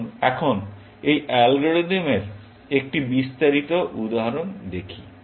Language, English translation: Bengali, Let us now look at a slightly more detailed example of this algorithm